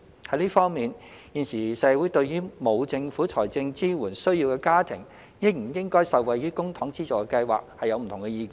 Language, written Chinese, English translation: Cantonese, 在這方面，現時社會對於沒有政府財政支援需要的家庭應不應該受惠於公帑資助的計劃有不同意見。, In this regard there are divergent views in the community on whether families that do not need financial support from the Government should benefit from public funding schemes